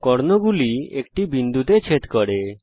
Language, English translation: Bengali, The two circles intersect at two points